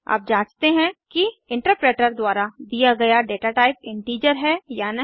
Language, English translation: Hindi, Lets check whether the datatype allotted by the interpreter is integer or not